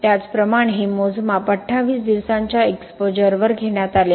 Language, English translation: Marathi, So similarly this was, this measurement was taken at 28 days of exposure